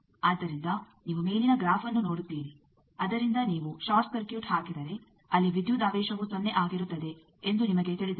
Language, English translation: Kannada, So, you see the upper graph that from that you know that if you put a short circuit, there the voltage will be 0